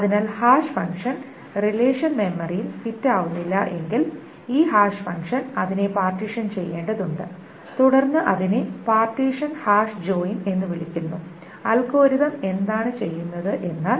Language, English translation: Malayalam, So if the hash function, if the relation doesn't fit into memory, then this hash function needs to partition partition it and then it is called a partition hash joint